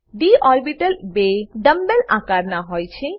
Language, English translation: Gujarati, d orbitals are double dumb bell shaped